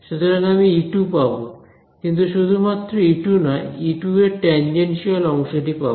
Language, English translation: Bengali, So, I will get E 2, but not just E 2 I will get the tangential part of E 2 right